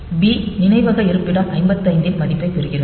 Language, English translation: Tamil, So, b gets the value of memory location 55